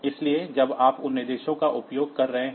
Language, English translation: Hindi, So, when you are using those instructions